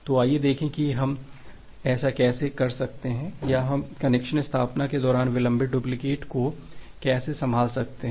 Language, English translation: Hindi, So, let us see that how we can do this or how we can handle the delayed duplicates during the case of connection establishment